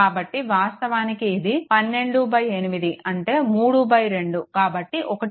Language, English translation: Telugu, So, that is actually is equal to it is 12 by 8 so that is 3 by 2